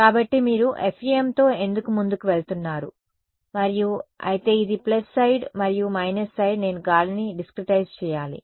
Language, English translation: Telugu, So, that is why you are going ahead with FEM and, but this was the plus side and the minus side is I have to discretize air